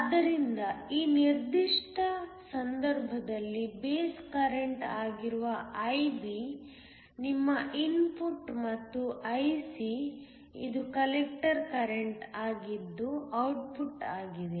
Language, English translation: Kannada, So, In this particular case IB which is the base current is your input and I C which is the collector current is the output